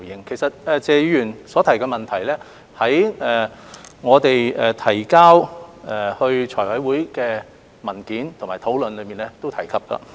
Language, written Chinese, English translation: Cantonese, 其實，謝議員所提的問題，於我們在財務委員會審議有關文件的討論當中亦有提及。, In fact his questions have also been mentioned in our documents submitted to the Finance Committee FC and the related discussions